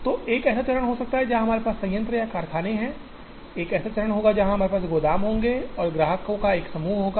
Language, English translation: Hindi, So, there can be a stage where we have plants or factories, there will be a stage where we will have warehouses and there will be a set of customers